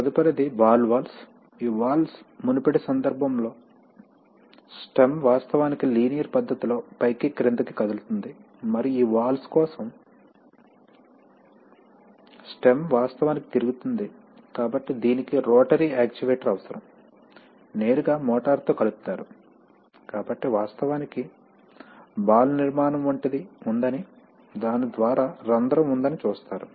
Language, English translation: Telugu, Next are ball valves, these valves have, in the previous case the stem actually moves in a linear fashion up and down, and for these valves, the stem actually rotates, so it is a, so it requires a rotary actuator, can be directly coupled to a motor, so you see that actually you have a ball, a ball like structure through which there is a hole